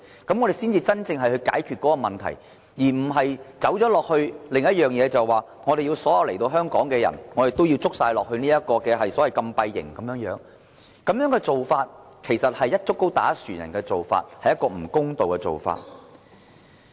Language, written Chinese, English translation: Cantonese, 這才能夠真正解決問題，而非走到另一個方向，把所有來港人士關閉在禁閉營。這種做法其實是"一竹篙打一船人"，是一種不公道的做法。, This is the only real solution but not the other direction to lock every new comers in holding centres which is in fact unfair as it attaches a derogatory label on everyone